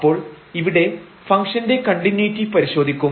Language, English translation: Malayalam, So, here we will check the continuity of the functions